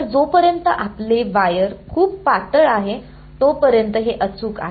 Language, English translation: Marathi, So, as long as your wire is very thin, this is exact